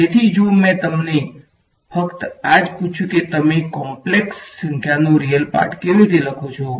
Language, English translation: Gujarati, So, if I asked you to simply this what how would you write down real part of a complex number